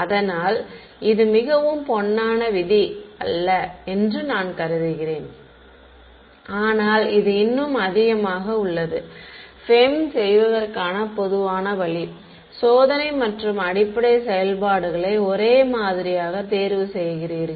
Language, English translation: Tamil, So, that is the most I mean it is not absolutely the golden rule, but this is the by further most common way for doing FEM is you choose the testing and basis functions to be the same ok